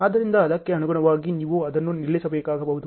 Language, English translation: Kannada, So, accordingly you may have to stop that